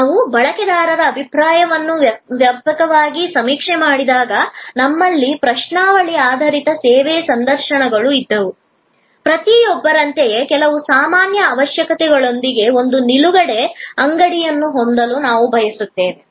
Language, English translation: Kannada, When we extensively surveyed opinion of users, we had questionnaire based service, interviews, we came up that with some general requirements like everybody would prefer to have a one stop shop